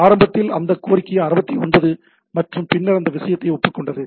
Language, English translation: Tamil, So, initially that request 69 and then agreed upon a thing